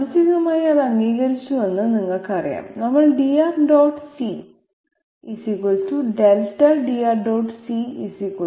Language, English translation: Malayalam, So having you know accepted that mentally, we are writing dR dot c = Delta